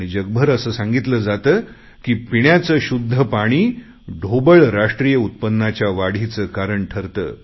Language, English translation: Marathi, World over it is said that potable water can contributing factor for GDP growth